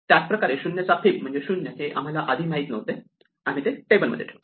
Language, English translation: Marathi, Same way, fib of 0 is 0 we did not know it before; we put it in the table